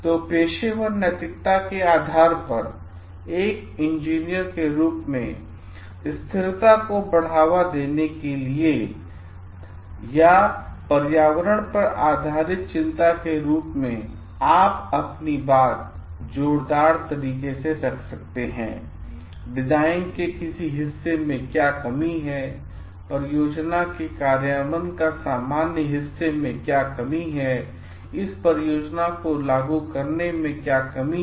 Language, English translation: Hindi, So, based on the professional ethics of like promoting sustainability or concern for environment as an engineer, you can always sound your voice telling: what are the cons part of the design, what are the cons part of the implementation of the project, implementing this project